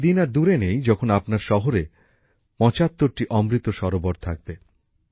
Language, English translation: Bengali, The day is not far when there will be 75 Amrit Sarovars in your own city